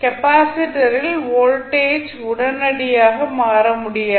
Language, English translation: Tamil, The voltage across capacitor cannot change instantaneously